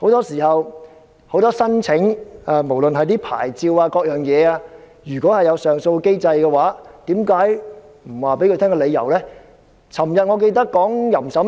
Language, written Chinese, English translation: Cantonese, 就申請牌照或其他事宜而言，如果有上訴機制，為何不向當事人提供理由呢？, In respect of licence applications or other matters if there is an appeal mechanism why not informed the parties concerned of the reasons?